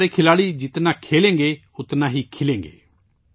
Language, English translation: Urdu, The more our sportspersons play, the more they'll bloom